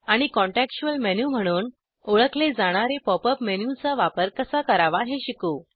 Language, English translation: Marathi, * and learn how to use the Pop up menu also known as contextual menu